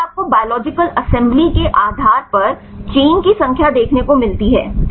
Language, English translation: Hindi, Then you get see the number of chains based on biological assembly right